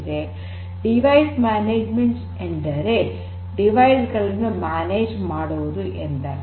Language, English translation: Kannada, Device management basically talks about managing the devices; managing the devices